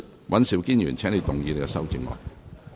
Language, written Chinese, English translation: Cantonese, 尹兆堅議員，請動議你的修正案。, Mr Andrew WAN you may move your amendment